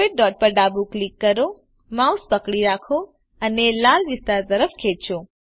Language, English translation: Gujarati, Left click the white dot, hold and drag your mouse to the red area